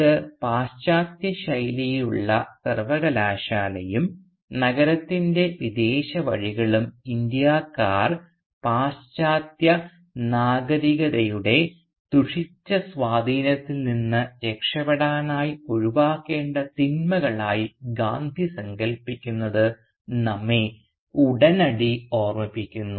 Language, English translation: Malayalam, Now this should immediately remind us of Gandhi’s own characterisation of the western style university and the foreign ways of the city as evils that Indians should shun so as to escape from the corrupting influence of the Satanic Western Civilisation